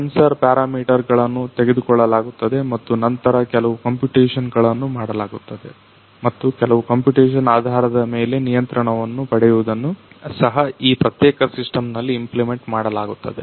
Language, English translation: Kannada, So, the sensor parameters will be taken and then some computation that is that is done and based on the computation getting some control that is also implemented on this particular system